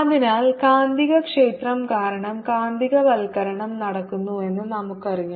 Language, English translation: Malayalam, so we know that magnetization is produced because of the magnetic field